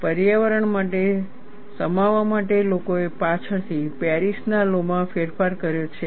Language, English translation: Gujarati, People have later modified the Paris law to accommodate for the environment